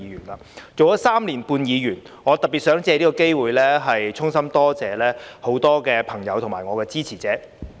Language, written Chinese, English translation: Cantonese, 當了3年半議員，我特別想借此機會，衷心多謝很多朋友和我的支持者。, Having been a Member for three and a half years I would particularly like to take this opportunity to express my heartfelt thanks to many friends and supporters of mine